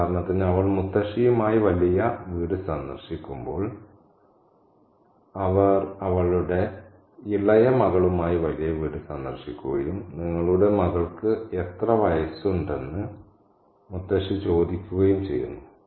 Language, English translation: Malayalam, For example, when she visits the big house with Mottasi, visits the big house with her young daughter, and Mutasi asked, how old is your daughter